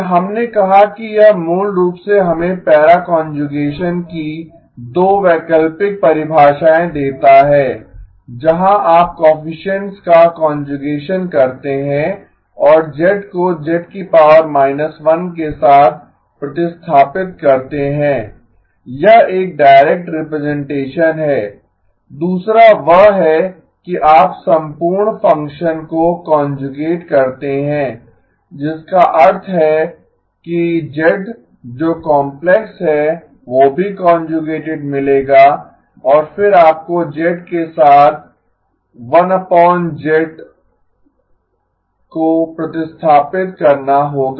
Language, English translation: Hindi, And we said that this basically gives us 2 alternate definitions of para conjugation where you do conjugation of the coefficients and replace z with z inverse, that is a direct representation, the other one is you conjugate the entire function which means that z being complex will also get conjugated and then you would have to replace z with 1 divided by z conjugate